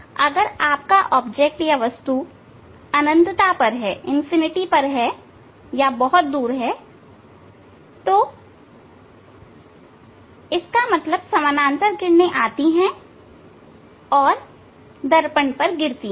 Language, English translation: Hindi, if your object is at infinity ok; that means, parallel rays are coming and falling on the mirror